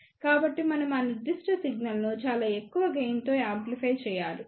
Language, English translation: Telugu, So, we have to amplify that particular signal with a very high gain